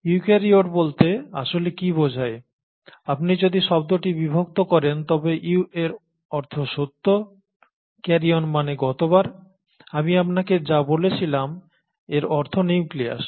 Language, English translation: Bengali, So what does eukaryote really mean, I mean if you were to split the word, “Eu” means true while karyon as I told you last time, it means nucleus